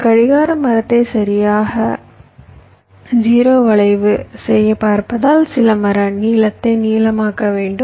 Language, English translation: Tamil, because you see, to make a clock tree exactly zero skew, maybe you may have to make some tree length longer, like like